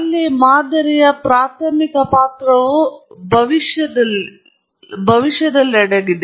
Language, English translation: Kannada, There, the primary role of the model again is in predictions